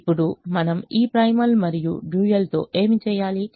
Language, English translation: Telugu, now what do we do with this primal and dual